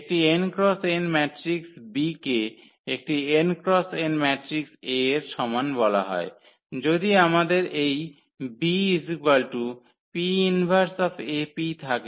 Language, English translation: Bengali, So, an n cross n matrix B is called similar to an n cross n matrix A, if we have this B is equal to P inverse AP